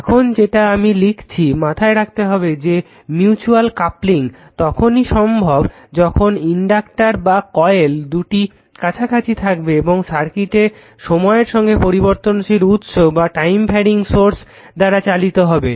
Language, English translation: Bengali, Now, now something I have written keep in mind that mutual coupling only exists when the inductors or coils are in close proximity and the circuits are driven by time varying sources